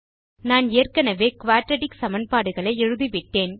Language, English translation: Tamil, Let us now write the steps to solve a Quadratic Equation